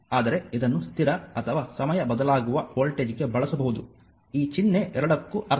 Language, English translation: Kannada, But this one it can be used for constant or time varying voltage this can be this symbol meaning for both